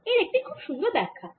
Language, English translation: Bengali, there's a nice interpretation to it